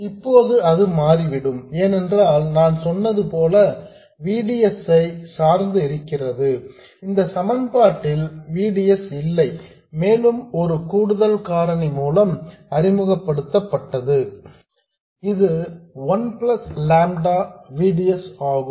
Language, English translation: Tamil, It turns out that like I said there is a dependence on VDS whereas this equation has no VDS at all and that is introduced by an additional factor 1 plus lambda VDS